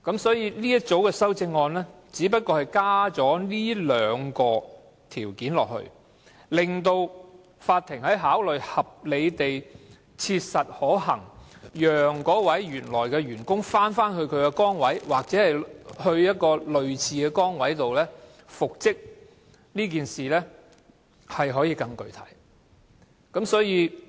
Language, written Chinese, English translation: Cantonese, 這一組修正案只是加入這兩項條件，令法院在考慮合理地切實可行讓有關的員工返回原來的崗位或調派到類似的崗位復職時，可以更為具體。, This group of amendments has only added these two conditions so that the court can more specifically consider whether it is reasonably practicable for the employee concerned to return to the original post or to be transferred to a similar post after reinstatement